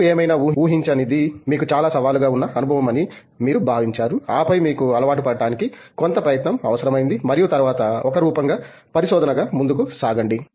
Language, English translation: Telugu, What did you feel was the most challenging experience for you that you somehow maybe didn’t anticipate and then it took you some effort to get accustomed to and then move on forward as a research as form